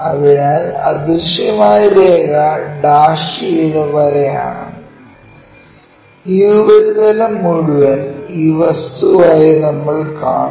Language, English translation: Malayalam, So, invisible line is dashed line and this entire surface we will see it as this object